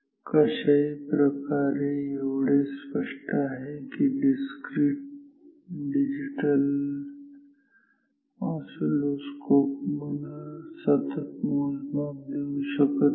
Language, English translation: Marathi, Anyway this is clear that discrete digital oscilloscopes will not give me continuous measurement